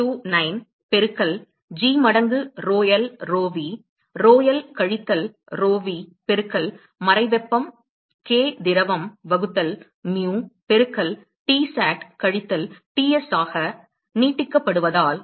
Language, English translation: Tamil, 729 multiplied by g times rho l, rho v; rho l minus rho v multiplied by latent heat k liquid divided by mu into Tsat minus Ts